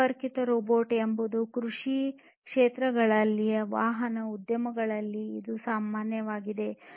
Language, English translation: Kannada, Connected robotics is something that is quite common now in automotive industries in agricultural, you know, fields